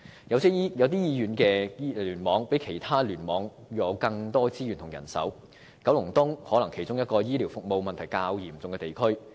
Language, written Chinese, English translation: Cantonese, 有些醫院聯網比其他聯網有更多資源和人手，九龍東可能是其中一個醫療服務問題較嚴重的地區。, Some hospital clusters have more resources and manpower than other clusters do and Kowloon East may be one of the districts plagued by more serious problems in relation to healthcare services